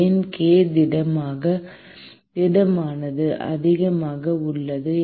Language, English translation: Tamil, Why k solid is high